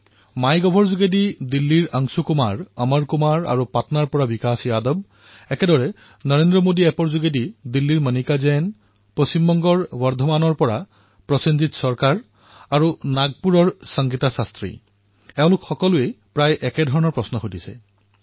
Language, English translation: Assamese, Anshu Kumar & Amar Kumar from Delhi on Mygov, Vikas Yadav from Patna; on similar lines Monica Jain from Delhi, Prosenjit Sarkar from Bardhaman, West Bengal and Sangeeta Shastri from Nagpur converge in asking a shared question